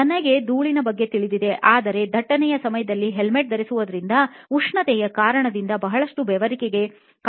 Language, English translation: Kannada, I knew about the dust, but the heat of wearing the helmet for a long time during traffic actually leads to a lot of sweating